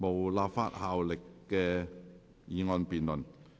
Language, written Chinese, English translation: Cantonese, 無立法效力的議案辯論。, Debates on motions with no legislative effect